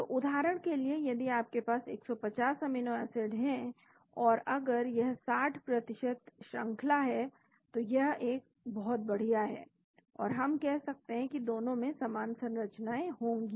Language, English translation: Hindi, So, for example, if you have 150 amino acids and if it is 50% percentage sequence that is fantastic we can say both will have a similar structure